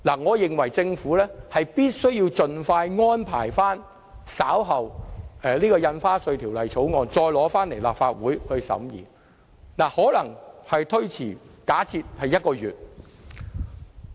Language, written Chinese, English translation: Cantonese, 我認為政府有必要盡快安排在稍後時間，重新向立法會提交《條例草案》，而時間上可能會稍為推遲，例如1個月。, I consider it necessary for the Government to expeditiously arrange the submission of the Bill to this Council again at a later date which will probably result in a slight delay of say one month